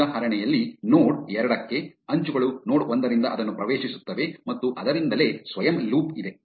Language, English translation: Kannada, In this example, for node 2, edges are entering it from node 1 and there is a self loop from itself therefore, it is in degree is two